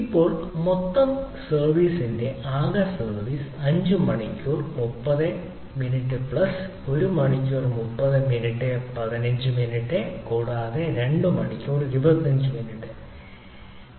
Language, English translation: Malayalam, total service, total service down time is five hours plus thirty minutes plus one hour thirty minute plus fifteen minute plus two hours twenty five minute